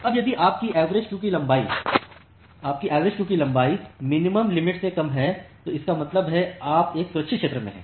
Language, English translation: Hindi, Now, if your average queue length is less than the minimum threshold; that means, you are in a safe zone